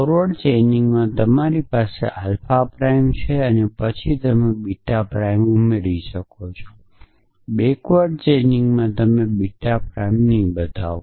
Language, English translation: Gujarati, So, in forward chaining you have alpha prime and then you can add beta prime in backward chaining you would not to show beta prime